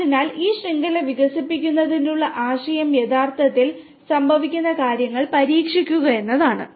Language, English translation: Malayalam, So, the idea of developing this network is to test the things that actually occur in real field